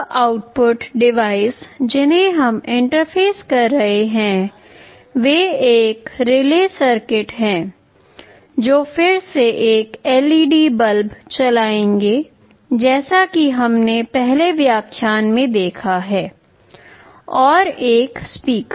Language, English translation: Hindi, Now, the output devices that we shall be interfacing are one relay circuit that will again be driving a LED bulb as we have seen in the earlier lecture, and a speaker